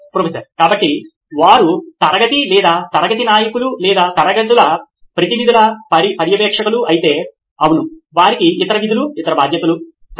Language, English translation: Telugu, So if they are monitors of the class or class leaders or representative’s classes yes they can have other jobs to do, other responsibilities, okay